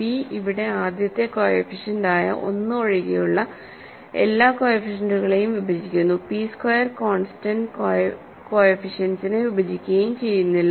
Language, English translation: Malayalam, So, this is because p divides all the coefficients here other than the first coefficient which is 1 and p squared does not divide the constant coefficient